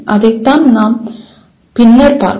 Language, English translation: Tamil, We will come to that at a later point